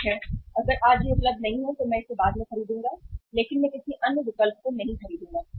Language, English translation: Hindi, Okay, if it is not available today I will buy it later on but I will not buy any other substitute